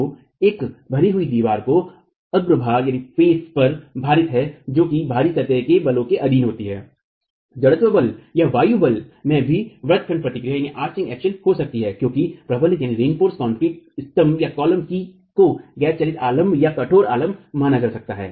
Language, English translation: Hindi, So, an infill wall which is face loaded which is subjected to out of plane forces, inertial forces or wind forces could also develop arching action because the reinforced concrete columns could be considered as as non moving supports or rigid supports